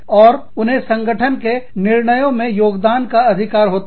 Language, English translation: Hindi, And, they have a right to contribute, to the firm's decision making